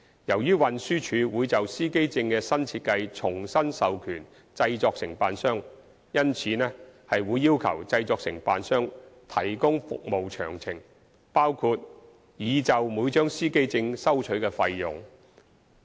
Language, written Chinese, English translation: Cantonese, 由於運輸署會就司機證的新設計重新授權製作承辦商，因此會要求製作承辦商提供服務詳情，包括擬就每張司機證收取的費用。, As TD will grant authorization to the production agents afresh in respect of the new design of the driver identity plates TD will ask the production agents to provide the details of their service including the fee to be charged for each driver identity plate